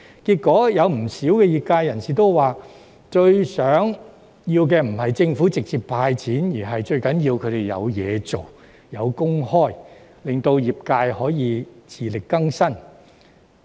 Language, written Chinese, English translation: Cantonese, 結果，不少業界人士指出，最希望政府做的並非直接"派錢"，而是讓他們有工作，能夠維持生計，令業界可以自力更生。, Eventually many members in the sector pointed out that what they hoped most was that the Government would not hand out money directly but to give them jobs to maintain their livelihood so that the sectors could become self - reliant